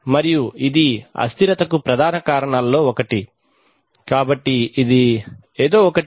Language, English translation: Telugu, And this is one of the prime causes of instability so that is something